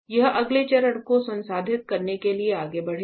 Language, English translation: Hindi, It will move to process the next step